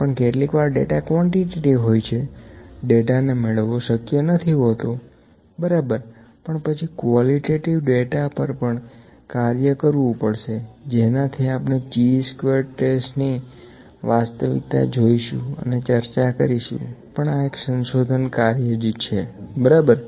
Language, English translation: Gujarati, But sometimes the data is quantitative, data is not possible to attain, ok, but then qualitative data is also to be worked on we can see the goodness of fit using chi squared test that will discuss, but the research is generally exploratory exploration, ok